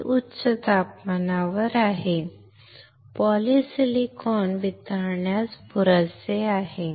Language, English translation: Marathi, Iit is at high temperature, high enough to melt polysilicon